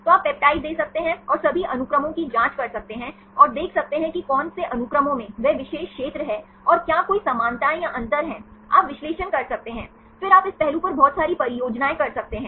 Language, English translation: Hindi, So, you can give the peptides and check all the sequences and see which sequences contain that particular region and are there any similarities or differences, you can do analysis, then you can do lot of projects on this aspect